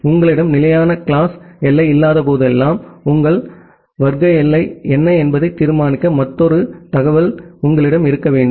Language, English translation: Tamil, Whenever do you do not have a fixed class boundary, you need to have another information to determine that what is your class boundary